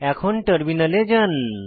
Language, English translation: Bengali, Lets switch to the terminal